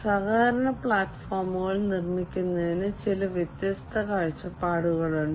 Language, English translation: Malayalam, So, there are some different perspectives to build collaboration platforms